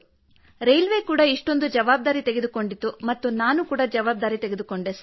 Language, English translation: Kannada, Railway took this much responsibility, I also took responsibility, sir